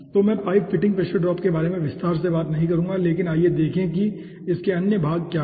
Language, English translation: Hindi, so i will not be going in detail of pipe fitting pressure drop, but let us see what are the other part